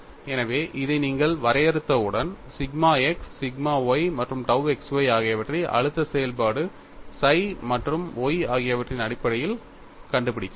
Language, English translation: Tamil, So, once you define this, we can find out sigma x, sigma y and tau xy in terms of the stress function psi and y